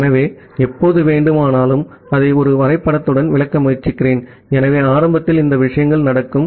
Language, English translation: Tamil, So, whenever your, so let me try to explain it with a diagram, so initially these things happen